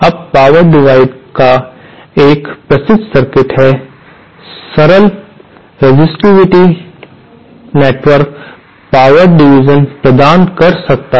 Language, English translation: Hindi, Now, power divider is a well known circuit, simple resistive network can provide power division